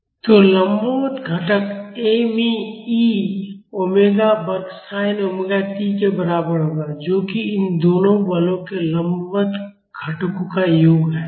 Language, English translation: Hindi, So, the vertical component will be equivalent to me e omega square sin omega t that is the sum of the vertical components of both these forces